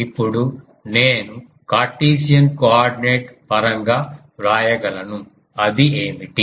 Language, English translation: Telugu, Now I can write it in terms of Cartesian coordinate what is it